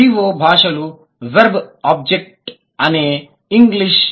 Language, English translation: Telugu, V O languages, verb object is English